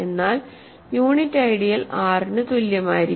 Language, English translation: Malayalam, But unit ideal will be equal to R